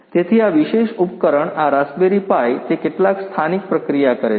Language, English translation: Gujarati, So, this particular device this raspberry pi it does some local processing right